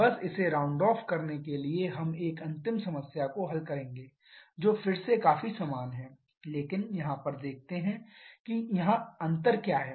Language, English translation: Hindi, Just to round it off we shall be solving a final problem which is again quite similar but here look at what we what is the difference here